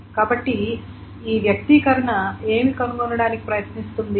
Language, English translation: Telugu, So what does this expression wants to, what does this expression try to do